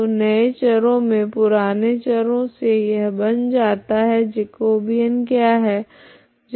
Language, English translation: Hindi, So in the in the old variables this is what it becomes what is Jacobean